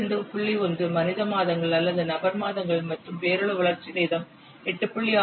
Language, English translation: Tamil, 1 million months or person months and the nominal development time is coming to be 8